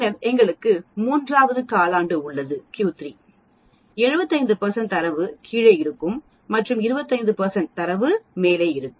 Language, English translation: Tamil, Then we have the third quartile Q 3, 75 percent of the data will be below and this Q 3 and 25 percent will be above this